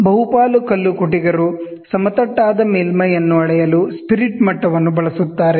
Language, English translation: Kannada, Majority of the mason use spirit level to measure, whether there flat surface